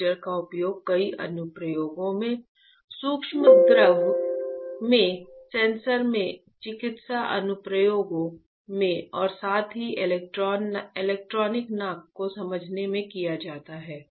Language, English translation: Hindi, Heater is used in many application, in sensors in micro fluidic, in medical applications as well as in understanding electronic nose